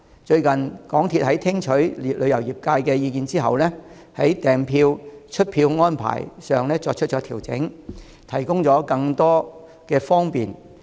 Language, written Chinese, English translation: Cantonese, 最近，香港鐵路有限公司在聽取旅遊業界的意見後，已在訂票和出票安排上作出調整，提供更多的方便。, The people of Hong Kong will also have more options when they travel to the Mainland . Recently heeding the views of the tourism industry the MTR Corporation Limited has adjusted the arrangements of reservation and issue of tickets offering greater convenience